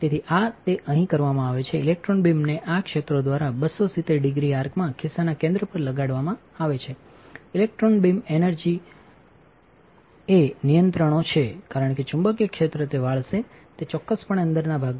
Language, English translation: Gujarati, So, this is the what is it done here, the electron beam is steered by this fields in a 270 degree arc to impinge on the center of pocket, the electron beam energy is controls as that magnetic field will bend it is precisely into the center of pocket all right